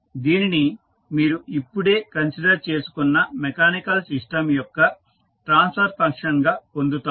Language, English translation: Telugu, So, this is what you get the transfer function of the mechanical system which you just considered